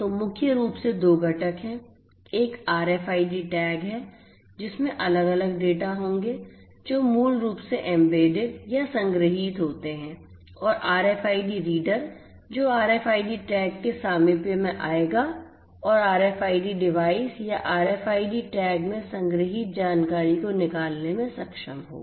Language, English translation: Hindi, So, there are primarily two components one is the RFID tag which will have different data that are basically embedded or stored in them and the RFID reader which will come in the close proximity of the RFID tag and would be able to extract out the information that is stored in the RFID device or the RFIC RFID tag